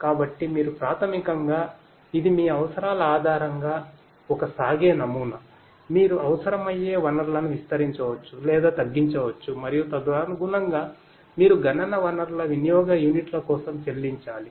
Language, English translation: Telugu, So, you can basically it’s an elastic kind of model you know based on your requirements you can expand or decrease the amount of resources that would be required and accordingly you are going to be you will have to pay for units of usage of the computational resources